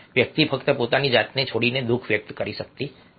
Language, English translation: Gujarati, one cannot just about abandon oneself and express ones sadness